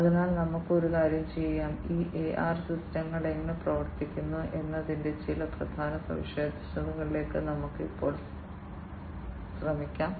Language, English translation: Malayalam, So, let us do one thing, we will now try to some of the key features of how these AR systems work